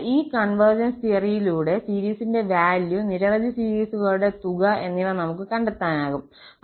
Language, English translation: Malayalam, So, by this convergence theorem, we can find the value of series, the sum of the series for many series